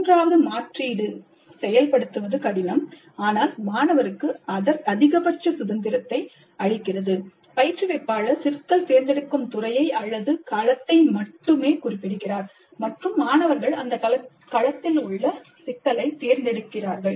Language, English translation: Tamil, The third alternative, which is probably difficult to implement, but which gives the maximum freedom to the student, is that instructor specifies only the domain and the students select the problem